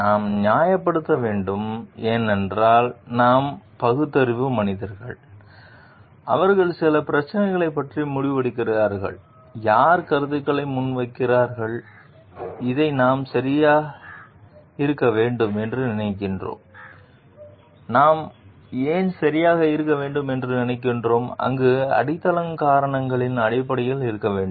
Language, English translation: Tamil, We need to justify because we are rational human beings who are making a decision about certain issue and who are like putting up comments like, we are thinking this to be right then, why we are thinking something to be right, must be based on well grounded reasons